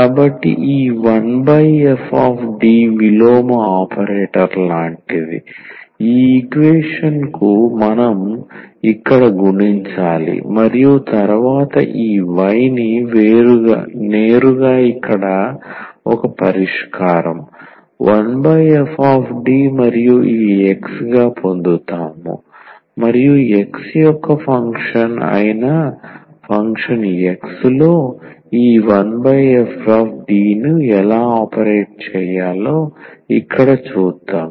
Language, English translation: Telugu, So, this 1 over f D is like the inverse operator which we multiply here to this equation and then we get directly this y here as a solution, 1 over f D and this X and we will see here that how to how to operate the this 1 over f D on function X here which is a function of X